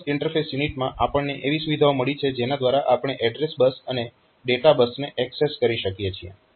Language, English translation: Gujarati, So, in the bus interface unit we have got the features by which it can access bus, the address bus and the data bus